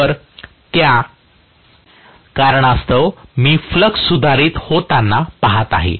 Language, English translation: Marathi, So, because of which I am looking at the flux getting modified